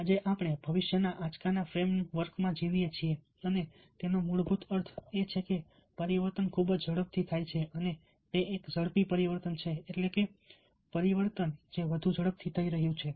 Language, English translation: Gujarati, today we live within the frame work of future soak and what is basically means is that change is very rapid and it is an accelerating change, change which is happening more fast